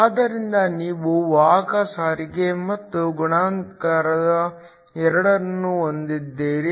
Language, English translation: Kannada, So, You have both carrier transport and multiplication